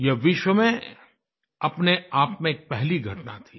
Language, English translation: Hindi, This was a first of its kind event in the entire world